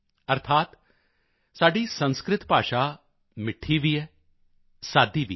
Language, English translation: Punjabi, That is, our Sanskrit language is sweet and also simple